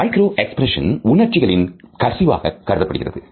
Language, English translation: Tamil, Micro expressions are like leakages of emotions